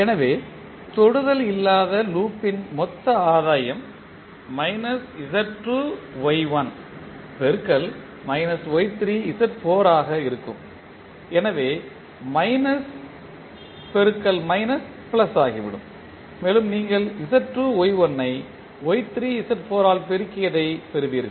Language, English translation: Tamil, So, the total gain of non touching loop would be minus Z2 Y1 into minus of Y3 Z4 so minus minus will become plus and you will get Z2 Y1 multiplied by Y3 Z4